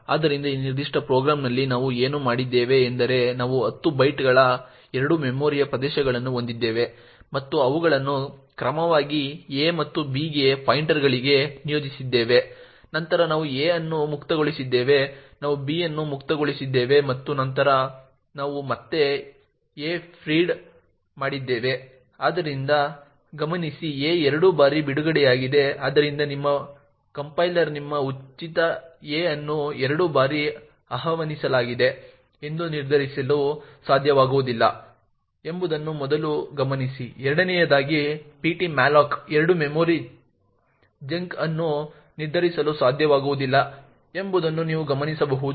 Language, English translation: Kannada, So in this particular program what we have done is that we have malloc two memory regions of 10 bytes each and allocated them to pointers a and b respectively then we have freed a we have freed b and then we have feed a again, so note that a is freed twice so what can go wrong with this first of all note that your compiler will not be able to determine that your free a is invoked twice, secondly you will also notice that ptmalloc two will not be able to determine that the memory chunk a is freed twice